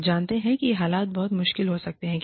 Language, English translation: Hindi, You know, these situations can become very tricky